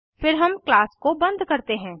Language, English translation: Hindi, Then we close the class